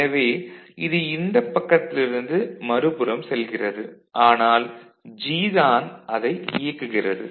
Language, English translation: Tamil, So, this is just going from this side to the other side, but G is what is making it enabled ok